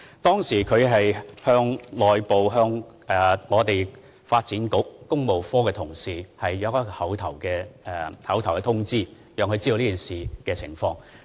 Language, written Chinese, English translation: Cantonese, 當時，署長向發展局工務科同事作出口頭通知，讓他們知悉此事。, At that time the Director orally notified staff members of the Works Branch of the Development Bureau